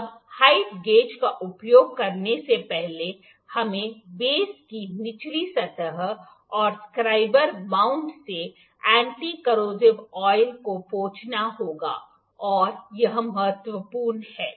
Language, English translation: Hindi, Now before using the height gauge we need to wipe of the anti corrosive oil from the bottom surface of the base and the scriber mount it is important here